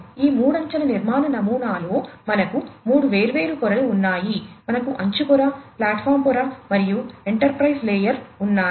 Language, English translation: Telugu, In this three tier architecture pattern, we have three different layers we have the edge layer, the platform layer and the enterprise layer